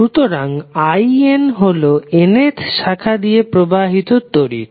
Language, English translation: Bengali, So in is the current flowing in the nth branch